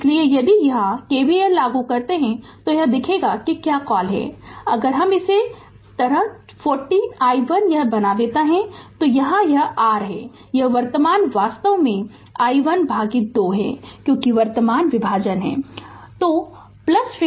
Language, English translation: Hindi, So, if you apply KVL here, it will be look your what you call if I make it like this 40 i 1 right this one and here it is your this current is actually i 1 by 2 because current division is there